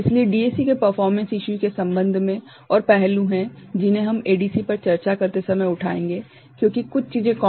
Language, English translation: Hindi, So, there are more aspects regarding a DAC performance, which we shall take up when we discuss ADC, because certain things are common right